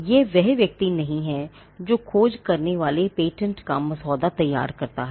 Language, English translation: Hindi, It is not the person who drafts the patent who does the search